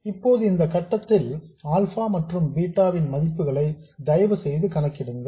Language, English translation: Tamil, Now at this point, please work out the values of alpha and beta